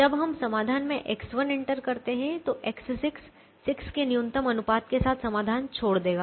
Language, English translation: Hindi, when we enter x one into the solution, x six will leave the solution with minimum ratio of six